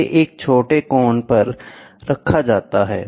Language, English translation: Hindi, So, it is placed at an angle